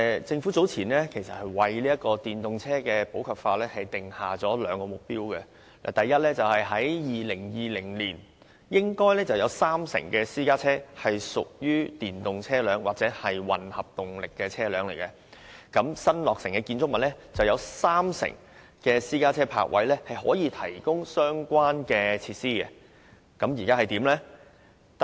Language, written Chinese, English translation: Cantonese, 政府早前已為電動車普及化訂下兩個目標：第一，在2020年應有三成私家車屬電動車輛或混合動力車輛；以及第二，在新落成的建築物內應有三成私家車泊車位可提供相關設施。, The Government has recently set two targets for EVs popularization First by 2020 30 % of all private cars should be EVs or hybrid vehicles; and second 30 % of the parking spaces for private cars in a newly - constructed building should be equipped with the relevant facilities